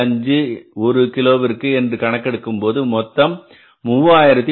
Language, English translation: Tamil, 25 per kg and this will work out as how much 3378